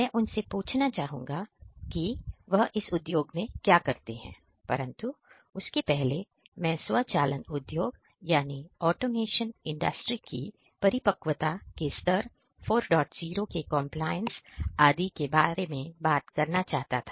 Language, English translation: Hindi, So, we are going to ask him about what they exactly do, but before that I wanted to talk about the level of maturity of automation Industry 4